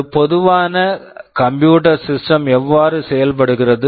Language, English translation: Tamil, This is how a typical computer system works